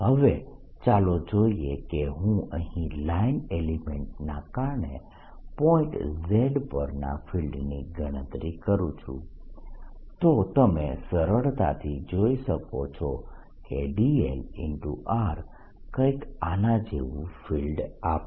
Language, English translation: Gujarati, now let see if i calculate the field at point z, due to the line element here and a line element here, you can easily see that d, l cross r will give a field going like this